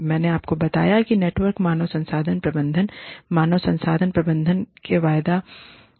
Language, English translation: Hindi, I told you, that network human resource management is, one of the futures of human resource management